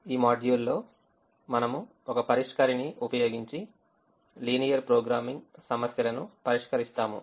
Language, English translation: Telugu, in this module we will solve linear programming problems using a solver